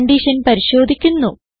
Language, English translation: Malayalam, We check the condition again